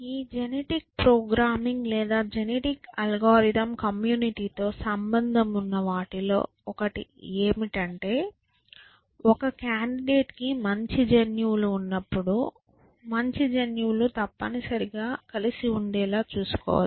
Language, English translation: Telugu, Essentially one of the things with this genetic programming or genetic algorithm community is concern with is that is there some way we can ensure that when a candidate has good genes, we can ensure their good genes stay together essentially